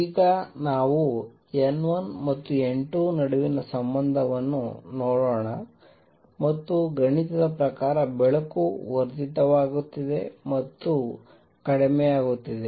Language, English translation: Kannada, Let us now see this relationship between N 1 and N 2 and light getting amplified or diminished mathematically